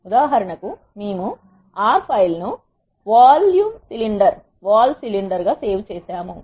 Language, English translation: Telugu, For example, we have saved the R file as vol cylinder